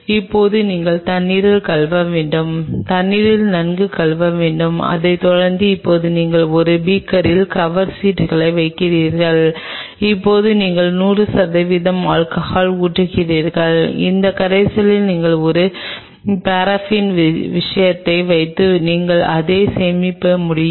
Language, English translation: Tamil, Now, you are washing with water washing with water a thorough rinsing thoroughly with water followed by now you have the cover slips in a beaker like this, now you pour 100 percent alcohol and, in this solution, you just put a paraffin thing and you can store it